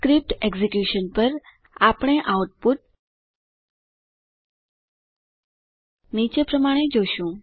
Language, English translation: Gujarati, On executing the script, we see the output as follows